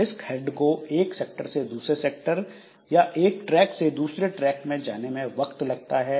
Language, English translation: Hindi, So, the disk head it needs some time to go from one sector to another sector, from one track to another track